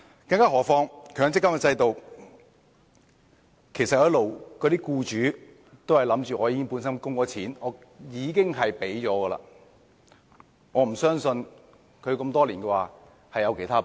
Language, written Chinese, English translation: Cantonese, 更何況，在強積金制度下，僱主一直認為他們已經供款，已經給了錢，我不相信他們會有其他撥備。, What is more under the MPF System the employers have all along considered that they have made contributions and have hence paid their share . I do not think that they have other reserves for meeting these payments